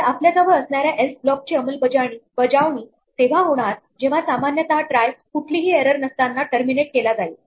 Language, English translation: Marathi, So, we have an else block which will execute if the try terminates normally with no errors